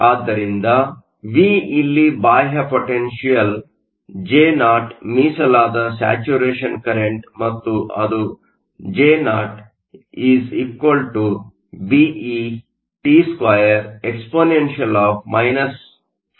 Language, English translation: Kannada, So, V here is your external potential, Jo is your reserve saturation current and Jo=BeT2exp BkT